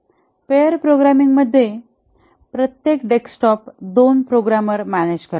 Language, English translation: Marathi, In a pair programming, each desktop is manned by two programmers